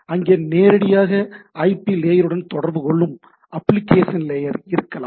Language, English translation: Tamil, There can be application layer which directly talks with that IP layer and like that